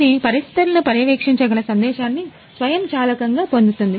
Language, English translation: Telugu, So, this see it automatically get message which can monitor the room conditions